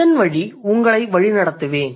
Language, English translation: Tamil, I'll lead you through that